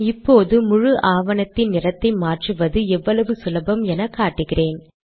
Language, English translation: Tamil, Now what I am going to show is how easy it is to change the color of the entire document